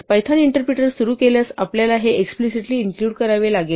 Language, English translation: Marathi, If you start the python interpreter you have to include these explicitly